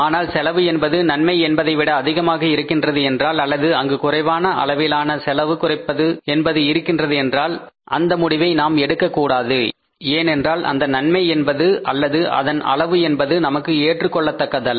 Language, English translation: Tamil, So if the cost is lesser than the benefit then we will adopt the option but if the cost is more than the or there is a minimum reduction in the cost then we will not take that decision because benefit is not going to be the one or the amount which is going to be acceptable to us